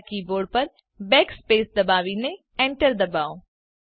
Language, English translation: Gujarati, Press Backspace on your keyboard and hit the enter key